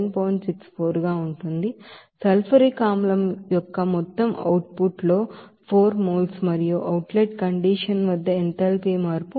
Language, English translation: Telugu, 64 at this ratio that you know that in total output of the sulfuric acid is 4 moles and enthalpy change at the outlet condition it will be is equal to 67